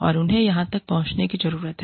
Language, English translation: Hindi, And, they need to reach out